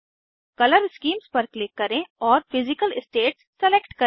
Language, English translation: Hindi, Click on Color Schemes and select Physical states